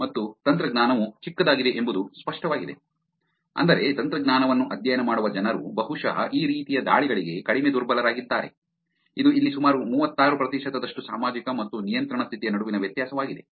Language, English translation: Kannada, And it was also evident that the technology has the smallest, which is people who study technology that have probably are less vulnerable to these kind of attacks which is about 36 percent here, difference between the social and the control condition right